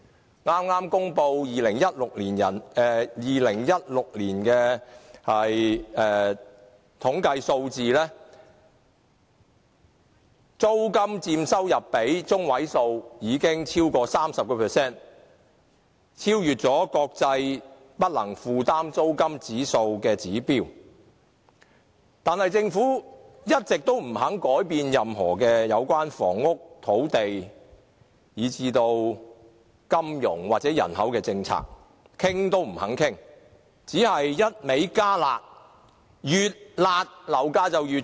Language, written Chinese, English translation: Cantonese, 根據剛公布的2016年的統計數字，租金佔收入的百分比已超過 30%， 已超越國際不能負擔租金指數的指標，但政府一直也不肯改變任何有關房屋、土地，以至金融或人口政策，連討論也不願意，只會不斷"加辣"，但越"辣"，樓價就越高。, In accordance with the lately announced statistics for 2016 the average rental payment has already accounted for more than 30 % of the income which is beyond the international indicator for unaffordable rental level . Nevertheless the Government has been unwilling to change or even to discuss any of its policies related to housing land finance or population . Instead it only keeps on imposing drastic measures